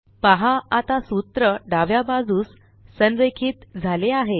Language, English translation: Marathi, Notice that the formulae are left aligned now